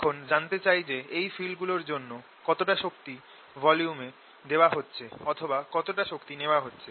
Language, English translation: Bengali, what i want to know now is how much energy is being pumptined by these fields into this volume, or how much energy is being taken away